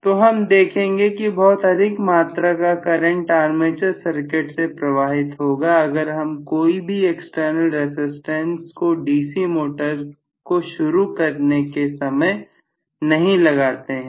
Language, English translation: Hindi, So I am going to see that very very huge current flows through the armature circuit, if I do not include any external resistance during the starting condition of a DC motor